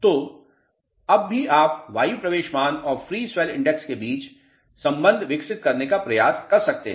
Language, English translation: Hindi, So, still you can try to develop relationship between air entry value and free swell index